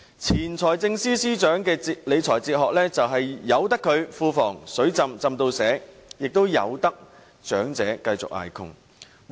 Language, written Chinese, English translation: Cantonese, 前財政司司長的理財哲學是任由庫房"水浸"至滿瀉，也任由長者繼續捱窮。, The financial management philosophy of the former Financial Secretary was to allow the coffers to be flooded with money while the elderly continued to be plagued by poverty